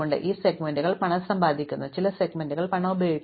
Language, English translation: Malayalam, So, some segments earn money, some segments use money